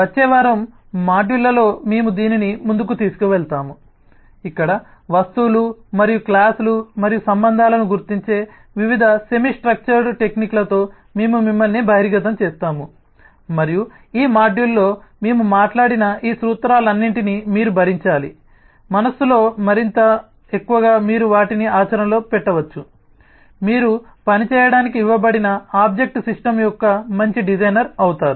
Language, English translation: Telugu, we will take this forward in the modules for the next week, where we will expose you with different semi structured techniques of identifying objects and classes and relationships and as you do that, all these principles that we have talked about in this module you should bear in mind more and more you can put them into practice, you will become a better designer of the object system that you are given to work with